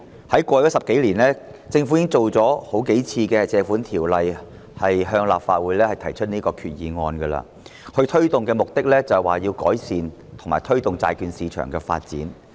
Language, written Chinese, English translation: Cantonese, 在過去10多年，政府曾多次根據《借款條例》向立法會提出決議案，目的是要改善及推動債券市場的發展。, Over the past decade or so the Government has proposed Resolutions under the Loans Ordinance on multiple occasions in order to improve and promote the development of the bond market